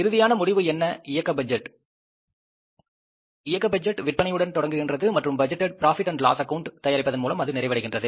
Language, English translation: Tamil, The end result is the operating budget starts with the sales forecasting and ends up with the preparing the budgeted profit and loss account